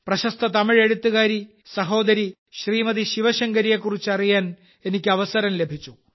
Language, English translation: Malayalam, I have got the opportunity to know about the famous Tamil writer Sister ShivaShankari Ji